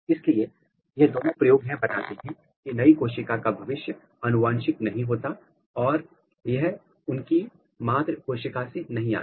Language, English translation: Hindi, So, both of these experiment suggest that the new cell fate is not inherited or it is not coming from the mother cell